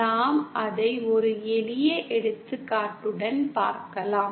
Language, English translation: Tamil, If we can take it with a simple example